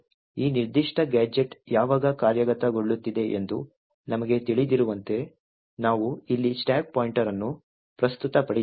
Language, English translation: Kannada, Now as we know when this particular gadget is executing, we have the stack pointer present here